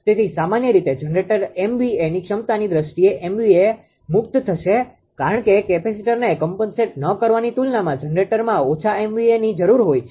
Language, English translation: Gujarati, So, naturally generator in terms of generator mva capacity that mva will be released because generator needs less mva as compared to without capacita and capacitor